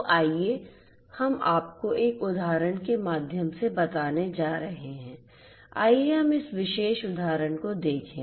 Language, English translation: Hindi, So, let us say I am going to run you through an example, let us look at this particular example